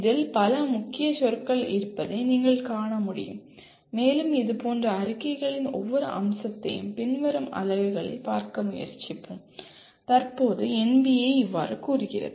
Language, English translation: Tamil, As you can see there are several keywords in this and we will be trying to look at each one of the features of such statements in the later units and that is how NBA at present stated